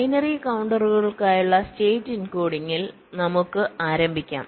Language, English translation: Malayalam, so let us start with state encoding for binary counters